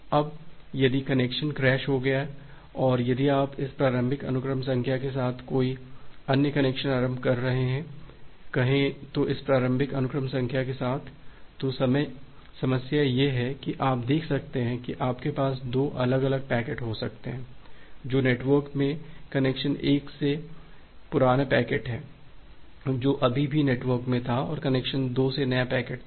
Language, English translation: Hindi, Now if this connection get crashed and if you are initiating another connection with this initial sequence number, say with this initial sequence number, then the problem is that you can see that here you have 2 different packets you may have 2 different packets, which are there in the network, one is the old packet from the connection 1 which was still there in the network and the new packet from connection 2